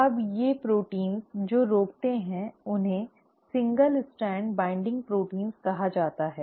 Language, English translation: Hindi, Now these proteins which prevent that are called as single strand binding proteins